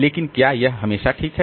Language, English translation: Hindi, But is it always the case